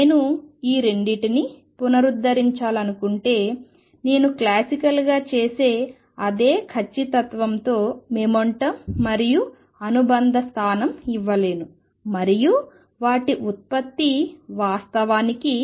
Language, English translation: Telugu, If I want to reconcile the 2 I cannot give the momentum and the associated position, the same direction with the same precision as I do classically and they product actually is h cross